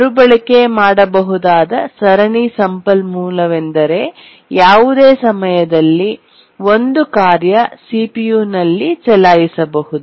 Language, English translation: Kannada, What we mean by a serially reusable resource is that at any time one task can run on the CPU